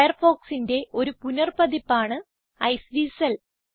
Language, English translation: Malayalam, Iceweasel is the re branded version of Firefox